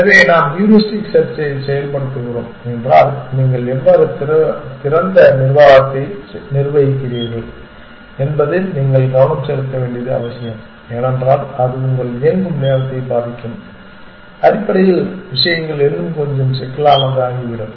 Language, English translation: Tamil, So, you must if we are implementing heuristic search it is very important that you pay attention to how you manage open because that is going to affect your running time essentially things become a little bit more complicated